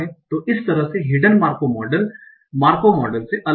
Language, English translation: Hindi, So that's where the hidden Markov models are different from Markov models